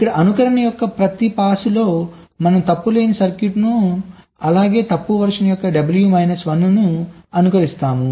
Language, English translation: Telugu, so what we do here, in every pass of the simulation we simulate the fault free circuits as well as w minus one of the faulty version